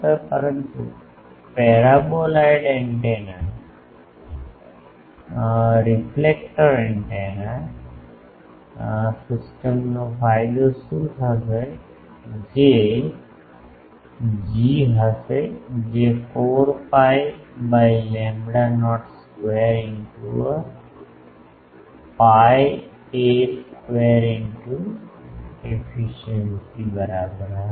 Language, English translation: Gujarati, But, what will be the gain of the parboiled antenna reflector antenna system that will be G is equal to 4 pi by lambda not square into pi a square into efficiencies